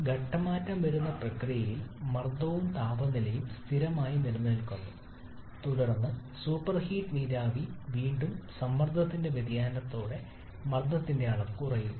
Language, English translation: Malayalam, During the phase change process, pressure and temperature both remains constant, and then in the super heated vapour regime again with change in pressure with reduction in pressure volume increases rapidly